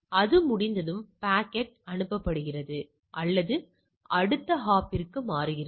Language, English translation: Tamil, Once it is done, the packet is forwarded or switched from to the next hop